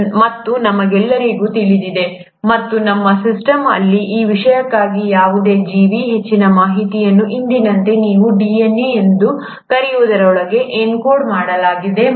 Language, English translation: Kannada, And we all know, and that in our system, any organism for that matter, most of the information is encoded into what you call as the DNA, as of today